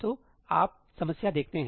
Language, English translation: Hindi, So, you see the problem